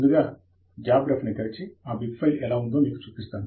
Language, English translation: Telugu, Let me open jabRef and show you how this bib file would look like